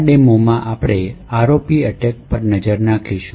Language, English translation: Gujarati, In this demonstration we will looking at ROP attack